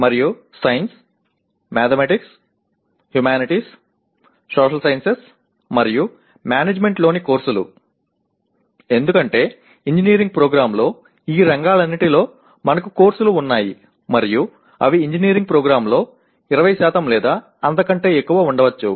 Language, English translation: Telugu, And courses in sciences, mathematics, humanities, social sciences and management, because we have courses in all these areas in an engineering program and they do constitute something like about maybe 20% or even more in an engineering program and they are concerned with only four categories of knowledge